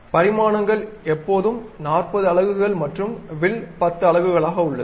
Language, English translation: Tamil, So, the dimensions always we mentioned like 40 units and arc 10 units